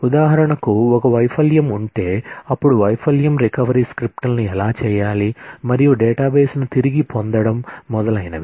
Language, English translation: Telugu, For example, if there has been a failure then how to do the failure recovery scripts, recovering the database and so on